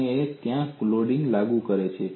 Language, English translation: Gujarati, And this is where I have applied the load